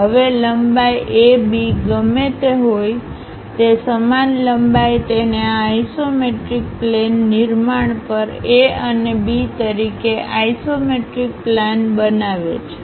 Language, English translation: Gujarati, Now, whatever the length AB, the same length mark it as A and B on this isometric plane construction